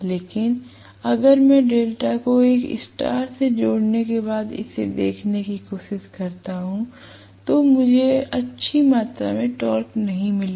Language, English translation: Hindi, But if I try looking at it after connecting delta a star I am not going to get a good amount of torque